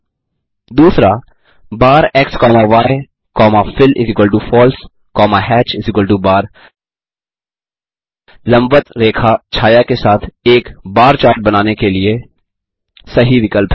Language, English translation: Hindi, 2.bar x comma y comma fill=False comma hatch=bar is the correct option to generate a bar chart with vertical line hatching